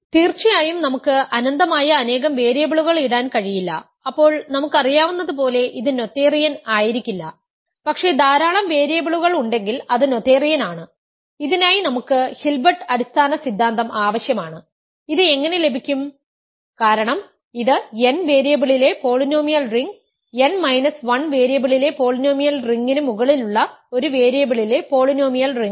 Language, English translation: Malayalam, We cannot put infinitely many variables of course, then it will not be noetherian as we know, but finitely many variables it is noetherian and for this we need Hilbert basis theorem and how do we get this, this is simply because polynomial ring in n variables is simply a polynomial ring in one variable over the polynomial ring in n minus 1 variables